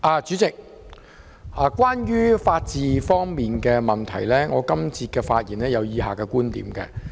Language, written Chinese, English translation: Cantonese, 主席，關於法治方面的問題，我想在本節發言表達以下觀點。, President regarding the question concerning the rule of law I wish to express the following points in this session